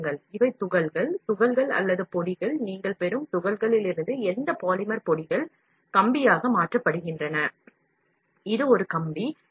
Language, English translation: Tamil, See from the pellets, these are pellets; pellets or powders whatever polymer powders from the pellets you get, converted into a wire, this is a wire